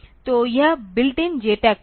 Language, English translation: Hindi, So, this built in JTAG port